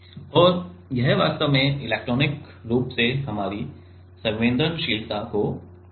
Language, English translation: Hindi, And this will actually increase our sensitivity from by electronically